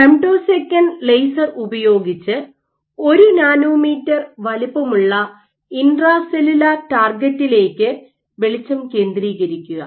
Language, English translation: Malayalam, So, using femtosecond lasers you focus light onto a nanometer sized intracellular target